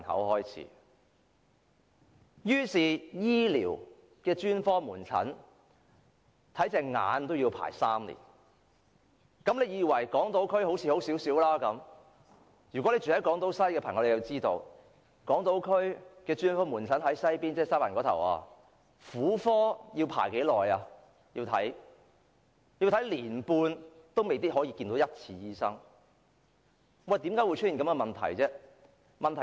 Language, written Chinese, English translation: Cantonese, 例如專科門診，看眼科要輪候3年，莫以為港島區的情況較好，住在港島西的朋友便知道，在港島區西環看婦科專科門診，竟然輪候一年半亦未必能就診，為何會出現這情況？, Take for example the specialist outpatient clinics the waiting time for ophthalmology is three years . Do not think that the situation on Hong Kong Island is better . People living in Hong Kong West would know that for those living in the Western District on Hong Kong Island the waiting time for gynaecology specialist service is at least one and a half years